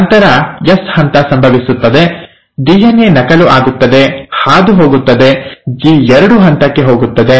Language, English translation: Kannada, Then the S phase happens, the DNA gets duplicated, passes on, goes to the G2 phase, right